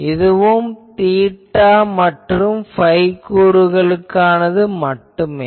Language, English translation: Tamil, So, there are only theta phi component